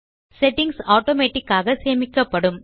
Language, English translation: Tamil, Our settings will be saved automatically